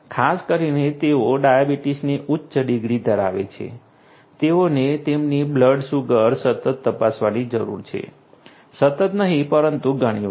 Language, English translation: Gujarati, Particularly, the ones who have higher degrees of diabetes; they have to they are required to check the blood sugar continuously, not continuously but quite often